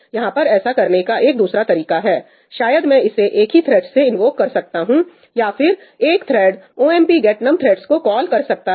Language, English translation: Hindi, Here is another way of trying to achieve that maybe I can just invoke it from one thread, right; maybe one thread can make a call to ëomp get num threadsí